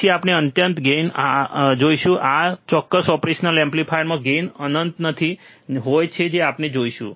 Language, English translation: Gujarati, Then we will see infinite gain, we will in this particular operation amplifier the gain will not be infinite that we will see today